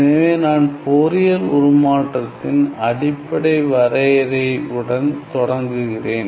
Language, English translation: Tamil, So, let me just start with the basic definition of Fourier transform